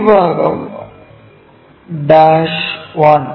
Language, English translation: Malayalam, So, this part dash 1